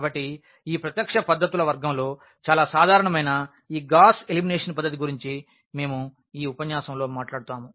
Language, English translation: Telugu, So, we will be talking about in this lecture about this Gauss elimination method, which is a very general one in the category of this direct methods